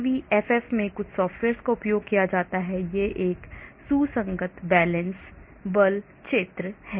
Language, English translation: Hindi, there is some software used at CVFF, there is a consistent valance force field